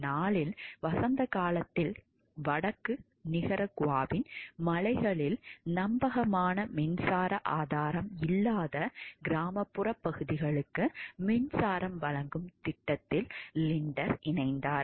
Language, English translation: Tamil, In the spring of 1984 Linder joined to project to provide a power to the rural area in the mountains of northern Nicaragua that had no reliable source of electric power